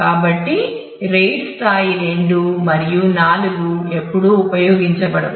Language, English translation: Telugu, So, that is not very common the RAID level 2 and 4 are never used